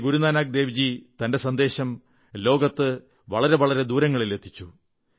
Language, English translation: Malayalam, Sri Guru Nanak Dev ji radiated his message to all corners of the world